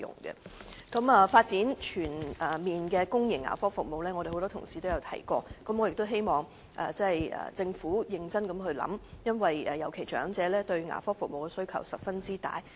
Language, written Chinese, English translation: Cantonese, 有關發展全面的公營牙科服務方面，我們很多同事已經提過，我希望政府認真考慮，尤其是長者對牙科服務的需求十分大。, Many colleagues have already talked about the development of comprehensive public dental services . I call on the Government to seriously consider this proposal . The elderly people in particular have great demand for dental services